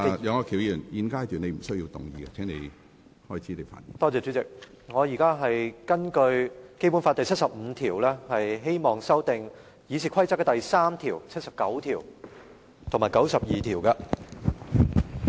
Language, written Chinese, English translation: Cantonese, 主席，我現在根據《中華人民共和國香港特別行政區基本法》第七十五條，希望修訂《議事規則》第3、79及92條。, President I propose that Rules 3 76 and 92 of the Rules of Procedure RoP be amended in accordance with Article 75 of the Basic Law of the Hong Kong Special Administrative Region of the Peoples Republic of China